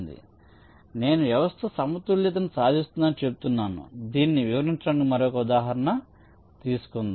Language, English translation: Telugu, ah, so when i say system achieves equilibrium, lets take another example to illustrate this